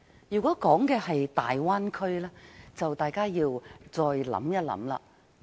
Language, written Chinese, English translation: Cantonese, 如果說的是大灣區，大家便要考慮一下。, We have to reconsider if we are talking about the Bay Area